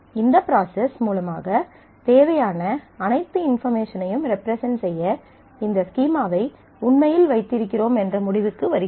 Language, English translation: Tamil, So, this is a process through which we come to the decision of actually having this schema to represent all the required information